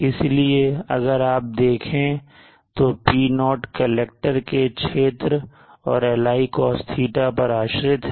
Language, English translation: Hindi, So you see the P0 is dependent on the area of the collector and Li cos